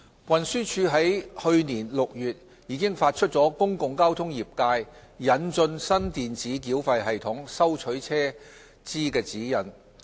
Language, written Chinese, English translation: Cantonese, 運輸署已於去年6月發出"公共交通業界引進新電子繳費系統收取車資指引"。, The Transport Department TD issued Guidelines on the introduction of a new electronic payment system for the collection of fares in the public transport sector in June last year